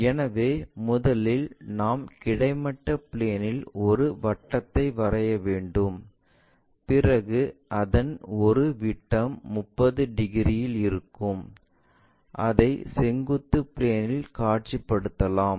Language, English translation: Tamil, So, first of all, we have to take a circle, rest it on the horizontal plane, then one of the ah diameter it's making 30 degrees so, that we will be in a position to visualize that in the vertical plane